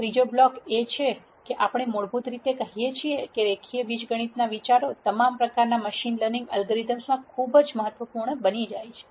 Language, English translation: Gujarati, The third block that we have basically says that the ideas from linear algebra become very very important in all kinds of machine learning algorithms